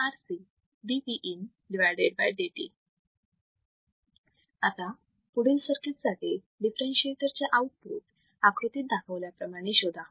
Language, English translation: Marathi, Now, for a given circuit, for this circuit, determine the output voltage of differentiator circuit as shown in figure